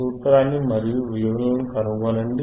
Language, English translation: Telugu, Put the formula and find the values